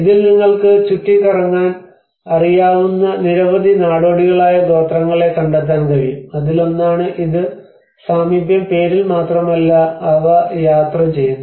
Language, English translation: Malayalam, \ \ And in this, you can find many nomadic tribes you know roaming around and one is it is also just not only in the name proximity but they do travel